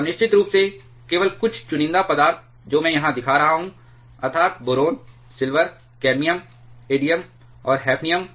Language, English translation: Hindi, And if of course, only few selected materials I am showing here, namely boron, silver, cadmium, indium and hafnium